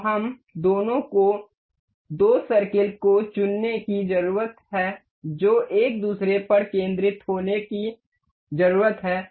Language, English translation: Hindi, So, the two we need to pick up two circles that need to be concentric over each other